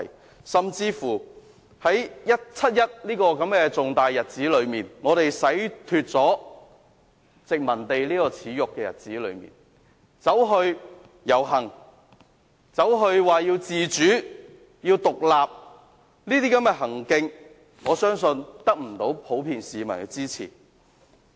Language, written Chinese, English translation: Cantonese, 更甚者，在七一這個紀念我們洗脫殖民地耻辱的重大日子，竟然有人遊行要求自主和獨立，我相信這種行徑不會得到市民普遍支持。, What is more outrageous is that on 1 July a significant day which commemorates our breaking away from the shameful colonial yoke some people are actually staging a march to call for self - rule and independence . I do not believe such an act will gain the support of the general public